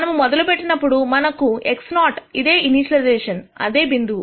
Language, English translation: Telugu, When we start we have x naught which is initialization which is this point